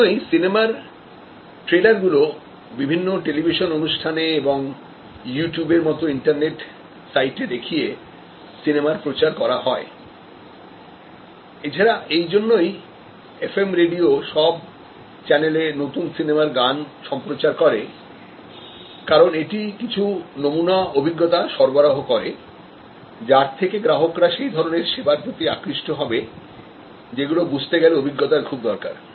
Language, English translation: Bengali, In this case that is why movie is try to promote that trailers to various television shows and internet sites like YouTube and so on that is why the FM radio channels continuously broadcast the hit songs of a new movie, because it provides some sample experience that attracts the customer to a service which is heavy with high in experience attribute